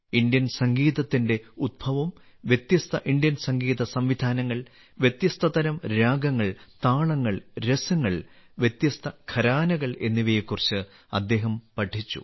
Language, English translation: Malayalam, He has studied about the origin of Indian music, different Indian musical systems, different types of ragas, talas and rasas as well as different gharanas